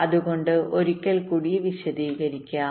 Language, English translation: Malayalam, so let me just explain it once more